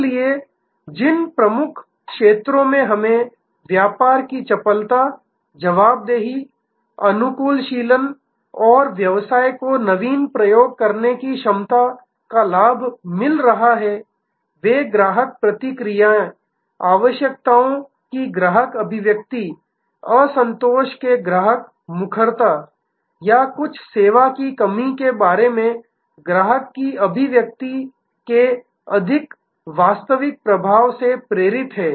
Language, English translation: Hindi, So, the key areas where we are getting advantage of business agility, responsiveness, adaptability and the ability of the business to innovate, to and all these are driven by more real time impact of customer feedback, customer articulation of needs, customer articulation of dissatisfaction or customer articulation about some service deficiency